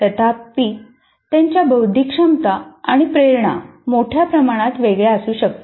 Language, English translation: Marathi, However, their cognitive abilities and motivations can considerably vary